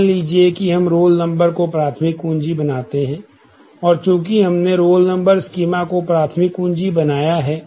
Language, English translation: Hindi, Let us say; we make roll number, the primary key and since, we make roll number the primary key in the schema